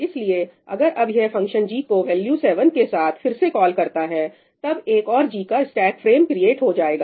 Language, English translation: Hindi, So, now if this function g again makes a call to g (again, right), with let us say, value 7 or something, then another stack frame of g will be created